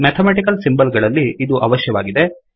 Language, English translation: Kannada, This is what is required in mathematical symbols